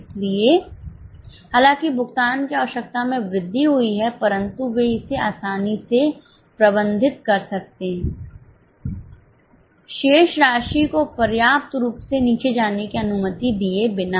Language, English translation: Hindi, So, though the requirement of payment increase, they could easily manage that without allowing the balance to go down substantially